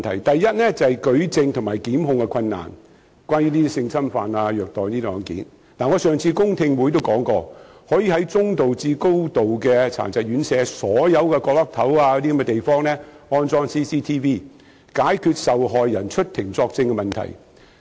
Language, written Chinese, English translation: Cantonese, 第一，就是舉證和檢控困難——關於這類性侵犯和虐待案件——我在上次公聽會已說過，可以在服務中度至嚴重殘疾人士的院舍範圍內，所有牆角等地方安裝 CCTV， 解決受害人出庭作證的問題。, The first is the difficulty in proof and prosecution in relation to such kind of sexual assaults and abuses . I have pointed out at the public hearing that it is possible to install closed - circuit television cameras at spots such as wall corners within the premises of residential care homes housing persons with moderate to severe disabilities so as to solve the issue of getting victims to testify in court